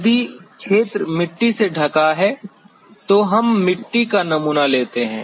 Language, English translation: Hindi, If the area is soil covered, then we sample the soil